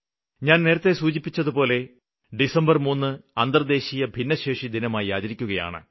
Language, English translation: Malayalam, Like I said earlier, 3rd December is being celebrated as "International Day of People with Disability"